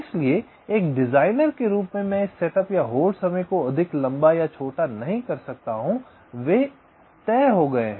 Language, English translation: Hindi, so as a designer, i cannot make this set up time longer, us or shorter, or the hold times longer or shorter